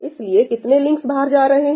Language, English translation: Hindi, So, how many links going out of every node